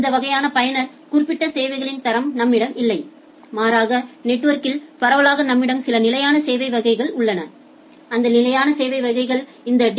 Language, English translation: Tamil, We do not have this kind of user specific quality of services that, rather network wide we have some fixed classes of services; and those fixed classes of services are determined by this DSCP field